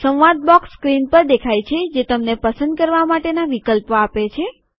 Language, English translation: Gujarati, A dialog box appears on the screen giving you options to select from